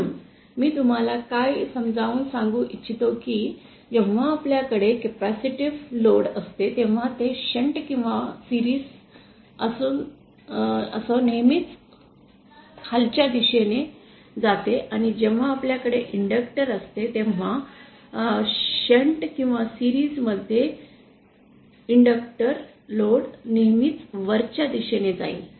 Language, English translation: Marathi, So, essentially what I would like you to understand is that when we have a capacitive load, whether in shunt or in series will always move onwards and when we have inductor, inductive load whether in shunt or in series will always move upwards